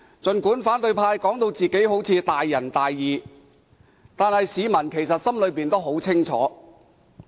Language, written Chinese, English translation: Cantonese, 儘管反對派把自己說得大仁大義，但市民心裏十分清楚。, Although opposition Members claim that they are righteous members of the public have a clear picture in heart